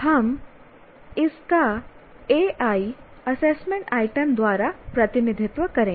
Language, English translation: Hindi, And we will represent that by AI, that is assessment item